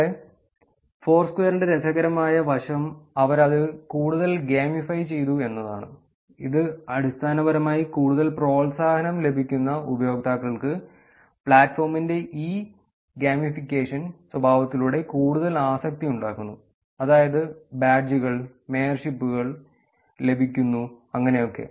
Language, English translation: Malayalam, So, the interesting aspect of Foursquare is that they have made it more gamified it which is basically turning the platform where users actually get more incentive, more addicted through this gamification nature, which is, user get badges, mayorships here